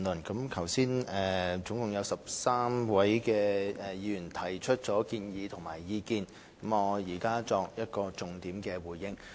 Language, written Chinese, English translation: Cantonese, 剛才共13位議員提出建議及意見，我現作重點回應。, Just now a total of 13 Members put forth their recommendations and views . I now give a reply on the main points